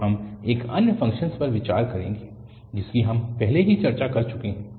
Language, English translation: Hindi, So, we will consider another function which is bit similar to what we have already discussed